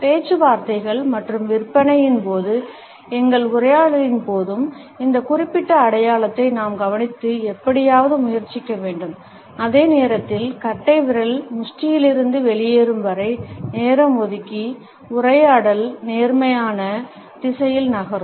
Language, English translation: Tamil, During negotiations and sales, during our dialogues, we have to watch for this particular sign and try to somehow, while away the time until the thumb moves back out of the fist so that the dialogue can move in a positive direction